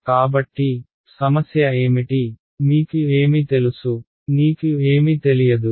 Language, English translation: Telugu, So, what is a problem, what do I know, what do I not know